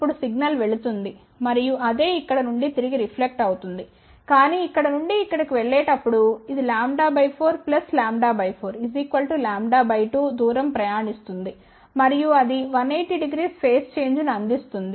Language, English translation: Telugu, Now the signal is going and again the same thing will reflect back from here , but while going from here to here, it will travel a distance of lambda by 4 plus lambda by 4, which is lambda by 2 and that would provide 180 degree phase shift